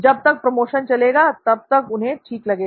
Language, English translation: Hindi, As long as the promotion runs, they are fine